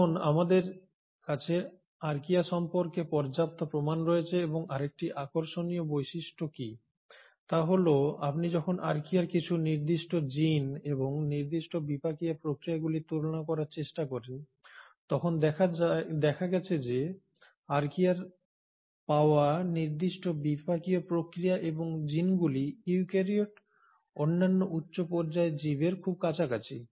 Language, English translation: Bengali, What is another interesting feature and we now have sufficient proof about Archaea, is that when you try to compare certain genes and certain metabolic pathways, the metabolic certain pathways and genes which are found in Archaea are found to be very close to the eukaryotes, the other higher end organisms